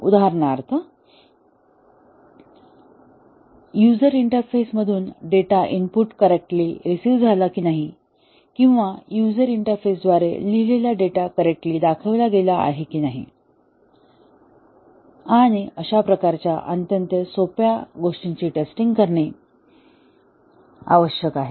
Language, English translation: Marathi, For example, whether data input from a user interface is correctly received or whether the data written by to a user interface is correctly shown and so on that kind of very simple things need to be tested